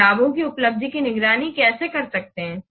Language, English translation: Hindi, How can monitor the achievement of the benefits